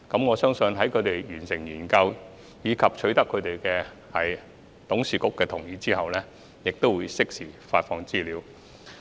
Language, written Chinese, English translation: Cantonese, 我相信市建局在完成研究及取得董事局同意後，會適時公布有關資料。, I believe that URA will release relevant information in due course after completing the study and obtaining the consent of its Board